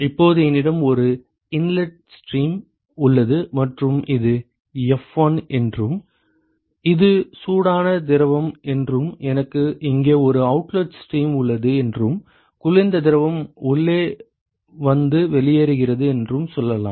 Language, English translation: Tamil, Now I have an inlet stream here and let us say this is f1 and this is hot fluid and I have an outlet stream here, and this is let us say the cold fluid comes in and goes out